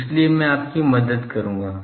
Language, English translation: Hindi, So, I will help you